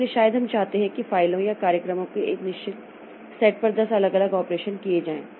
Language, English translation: Hindi, So, maybe we want 10 different operations to be done on a certain set of files or programs, etc